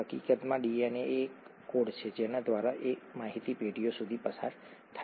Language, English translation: Gujarati, In fact DNA is the code through which this information is passed down generations